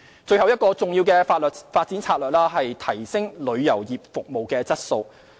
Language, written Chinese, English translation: Cantonese, 最後一個重要的發展策略是提升旅遊業服務質素。, The last key development strategy is to upgrade the quality of tourism services